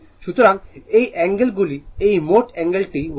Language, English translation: Bengali, So, this is these angle this this total angle is 135 degree